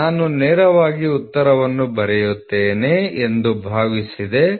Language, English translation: Kannada, So, I thought I will write directly the answer 4